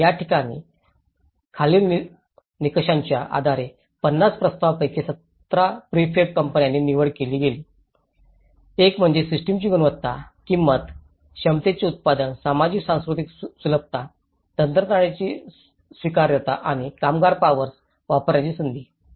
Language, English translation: Marathi, And, this is where about 17 prefab out of 50 proposals 17 prefab companies were selected based on the following criteria, one is the quality of the system, the price, the production of the capacity, socio cultural accessibility, acceptability of the technology and scope for the use of labour force